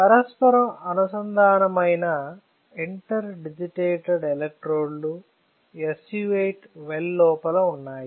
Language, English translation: Telugu, So, the interdigitated electrodes were inside the SU 8 well